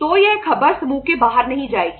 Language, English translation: Hindi, So that news does not go out of the group